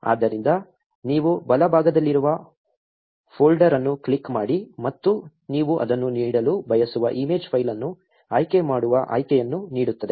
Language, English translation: Kannada, So, you click on the folder on the right and it will give an option to select the image file that you want to give it